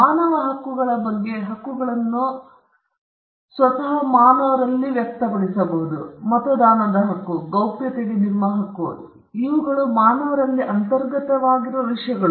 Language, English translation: Kannada, Rights may express itself inherently in a human being like what we say about human rights: your right to vote, your right to privacy these are things which are inherent in a human being